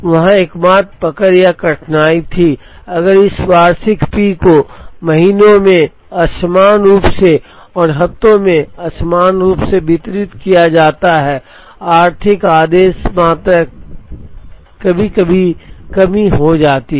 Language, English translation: Hindi, The only catch or difficulty there was, if this annual P is distributed unequally over the months and unequally over the weeks then the economic order quantity can sometimes result in shortages